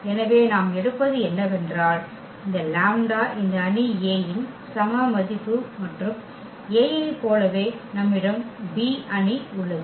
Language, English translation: Tamil, So, what we take that let us say this lambda is the eigenvalue of this matrix A and the similar to A, we have the B matrix